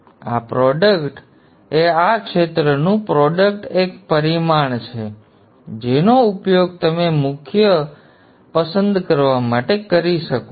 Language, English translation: Gujarati, This product is a this area product is a parameter that you can use for choosing the core